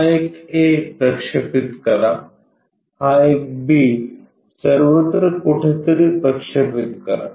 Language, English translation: Marathi, Project this one A down project this one B all the way somewhere